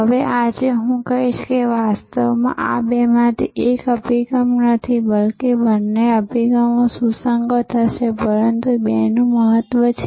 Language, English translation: Gujarati, Now, today I would say that actually these are not to either or approaches, but rather both approaches will be relevant, but the importance of the two